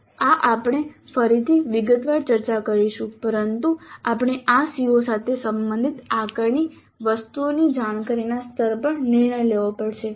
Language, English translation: Gujarati, This we will discuss again in detail but we have to decide on the cognitive levels of the assessment items related to this CO